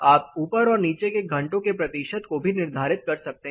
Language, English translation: Hindi, You can also set the percentage of hours above as well as the percentage of the hours below